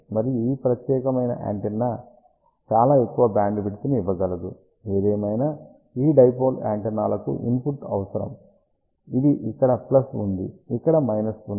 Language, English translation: Telugu, And this particular antenna can give very large bandwidth; however, these dipole antennas require input, which is plus over here minus over here